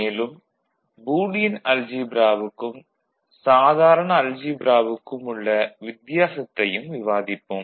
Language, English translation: Tamil, So, that is again one unique thing about a Boolean algebra unlike the ordinary algebra